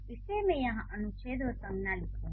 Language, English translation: Hindi, So, I would write article here and I will write noun here